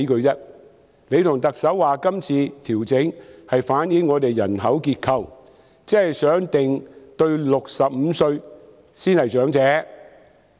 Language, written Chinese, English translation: Cantonese, 局長和特首說今次的調整反映了本港的人口結構，希望釐定年滿65歲的才是長者。, The Secretary and the Chief Executive said this adjustment reflects the demographic structure of Hong Kong with a view to defining the elderly as those who have reached the age of 65